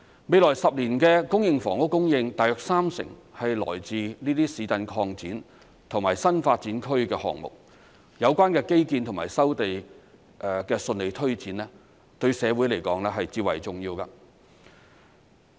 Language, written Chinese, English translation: Cantonese, 未來10年的公營房屋供應大約三成來自這些市鎮擴展及新發展區項目，有關的基建及收地的順利推展對社會來說至為重要。, As about 30 % of the supply of public housing in the next 10 years will come from these new town extension and new development area projects the smooth implementation of the relevant infrastructure work and land resumption will be of great importance to society